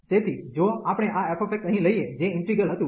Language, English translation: Gujarati, So, if we take this f x here, which was the integral